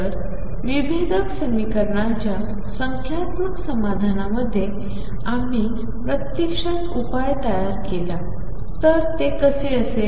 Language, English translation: Marathi, So, in numerical solution of differential equations we actually construct the solution how do we do that